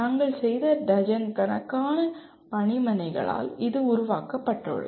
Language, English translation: Tamil, This has been borne out by dozens of workshops that we have done